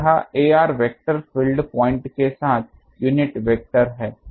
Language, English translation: Hindi, So, this ar vector is the unit vector along the field point